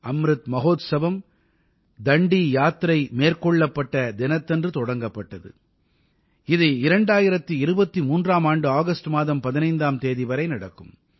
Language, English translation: Tamil, 'Amrit Mahotsav' had begun from the day of Dandi Yatra and will continue till the 15th of August, 2023